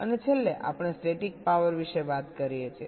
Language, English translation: Gujarati, ok, and lastly, we talk about static power